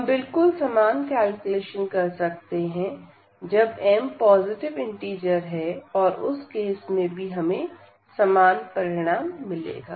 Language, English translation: Hindi, And, we can do the same similar calculations when m is a positive integer and in that case also we will get a similar result